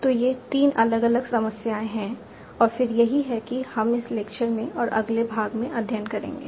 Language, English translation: Hindi, So these are the three different problems and then that's what we will be studying in this lecture and the next